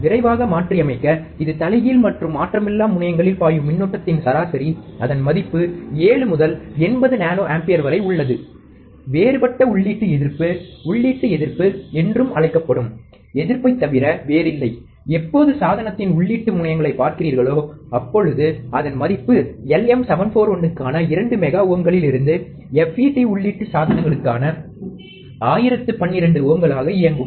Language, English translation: Tamil, To quickly revise, it is the average of the current that flows in the inverting and non inverting terminals, the value is around 7 to 80 nano ampere, differential input resistance also known as input resistance is nothing but the resistance, when you look at the input terminals of the device, the value runs from 2 mega ohms for LM741 to 1012 ohms for FET input devices